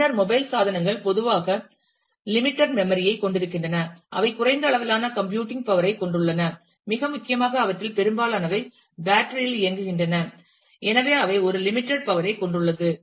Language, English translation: Tamil, Then, mobile devices typically have limited memory, they have limited computing power, very importantly most of them run on battery and therefore, they have one limited power available